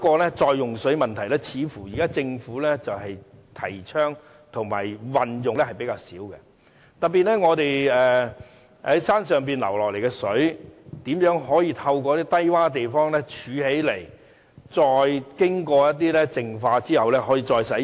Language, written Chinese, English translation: Cantonese, 然而，似乎政府現在提倡和運用比較少的另一個再用水的問題，就是如何把山上流下來的水，透過低窪地方儲存起來，經過淨化後可以再使用？, However it seems that the Government has not actively promoted or adopt the technology of water reclamation . Specifically how can we collect water that come from the hills at low - lying areas and then have the water treated for further consumption?